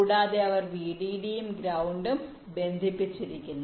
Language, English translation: Malayalam, and they connected vdd and ground